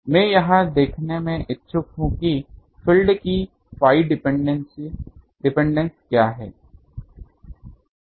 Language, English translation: Hindi, I am interested to see what is a phi dependence of that field